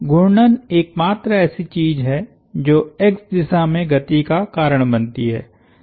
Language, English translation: Hindi, The rotation is the only part that causes the x direction motion